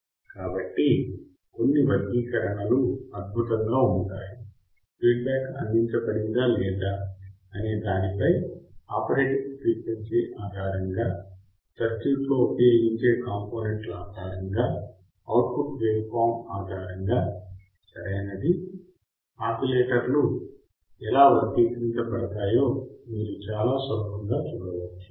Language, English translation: Telugu, So, some of the classifications are based on awesome, based on output waveform based on circuit components based on operating frequency based on whether feedback is provided or not, right, you can see very easily how the oscillators are classified